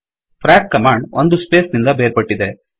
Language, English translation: Kannada, The command frac is terminated by a space